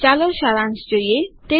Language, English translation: Gujarati, Let me summarise